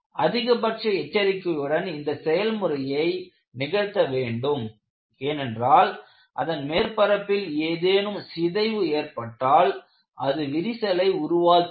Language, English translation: Tamil, This should be conducted with extreme caution since, damage to the surface layer may induce cracking